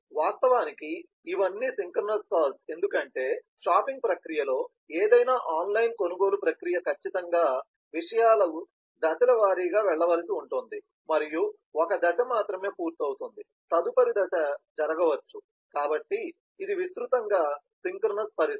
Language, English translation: Telugu, all of these are synchronous calls because in the shopping process, online purchase process of any kind, certainly things will have to go step by step and only one step is done completed, the next step can happen, so that is a synchronous situation broadly